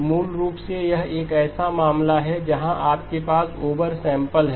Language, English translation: Hindi, So basically this is a case where you have over sample